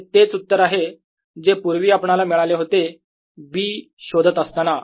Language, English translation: Marathi, indeed, the answer we had obtained earlier looking at b